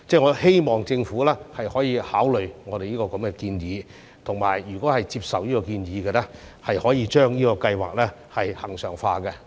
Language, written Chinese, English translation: Cantonese, 我希望政府能考慮我這個建議，如果接受建議，可以將計劃恆常化。, I hope the Government will consider my proposal . And if it accepts the proposal it may make this a permanent arrangement